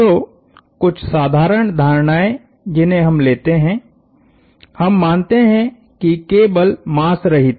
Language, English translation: Hindi, So, just a set of simple assumptions, we assume the cables are mass less